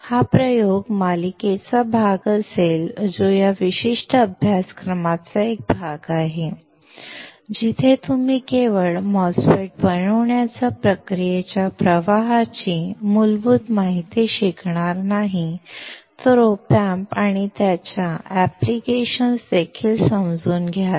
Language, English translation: Marathi, That will be part of the experiment series which is part of this particular course, where you not only you will learn the basics of the process flow for fabricating a MOSFET, but also understand op amps and its application